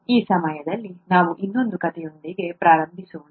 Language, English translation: Kannada, This time, let us start with another story